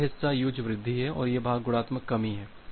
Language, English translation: Hindi, So, this part is the additive increase and this part is a multiplicative decrease